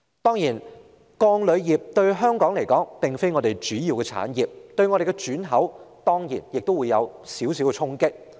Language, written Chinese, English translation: Cantonese, 當然，鋼鋁業並非香港的主要產業，但對我們的轉口仍會有一點衝擊。, Though steel and aluminum industries are not the major industries of Hong Kong our re - export trade will be affected in some measure